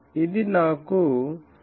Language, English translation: Telugu, So, started 11